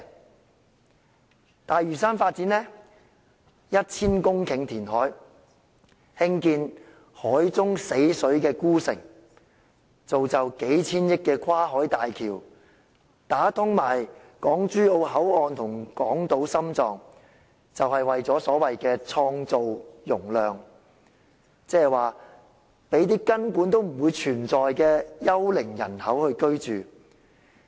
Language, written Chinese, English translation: Cantonese, 發展東大嶼都會，將要填海 1,000 公頃，興建海中死水孤城，造就數千億元的跨境大橋，連帶港珠澳大橋香港口岸和港島心臟，便是為了所謂的創造容量，即是讓根本不存在的幽靈人口居住。, The Development of the East Lantau Metropolis requires reclamation of 1 000 hectares to build an isolated city in dead waters for the construction of a cross - boundary bridge worth hundreds of billion dollars for connection with the Hong Kong Boundary Crossing Facilities of the Hong Kong - Zhuhai - Macao Bridge HZMB and the heart of Hong Kong Island . It is for the purpose of creating the so - called capacity where non - existent ghost population can reside